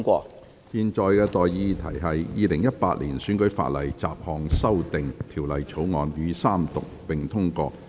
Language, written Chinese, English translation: Cantonese, 我現在向各位提出的待議議題是：《2018年選舉法例條例草案》予以三讀並通過。, I now propose the question to you and that is That the Electoral Legislation Bill 2018 be read the Third time and do pass